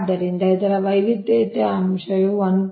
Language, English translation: Kannada, so this is your diversity factor